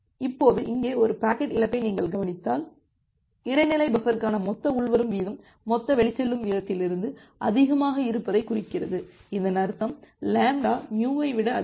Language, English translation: Tamil, Now, if you observe a packet loss here that indicates that the total incoming rate to the intermediate buffer is exceeding from the total outgoing rate; that means, lambda is more than mu